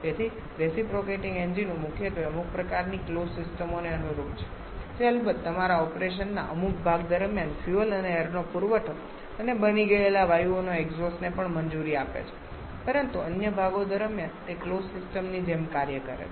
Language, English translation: Gujarati, So, reciprocating engines primarily corresponds to some kind of closed systems which of course allows the supply of fuel and air and also the exhaust of burned gases during some part of your operation but during the other parts it acts like a closed system